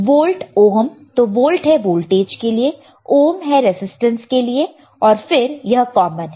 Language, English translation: Hindi, Volt ohms right, see volt voltage and ohms resistance right, then this is common